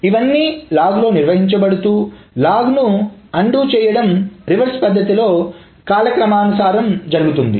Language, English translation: Telugu, So if all those things are maintained in the log, then to undo the log can be traversed in a reverse manner in chronological order